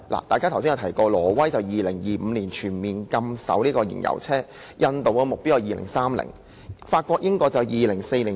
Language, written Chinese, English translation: Cantonese, 大家剛才也提到，挪威會在2025年全面禁售燃油車；印度的目標是2030年；法國和英國則是2040年。, As mentioned by Members just now Norway will put a complete ban on the sale of fuel - engined vehicles in 2025; India set the target on 2030 while France and the United Kingdom set it on 2040